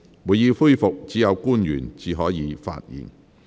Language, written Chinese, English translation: Cantonese, 會議恢復時，只有官員才可發言。, Only public officers may speak when the Council resumes